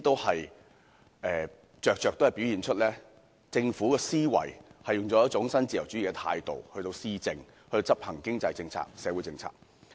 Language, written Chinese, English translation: Cantonese, 這些均在在表現出政府的思維是以一種新自由主義的態度施政，以及執行經濟和社會政策。, All of them show that the philosophy of the Government is to adopt a neo - liberal attitude in administration and implementation of economic and social policies